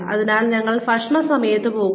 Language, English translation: Malayalam, So, we go at meal times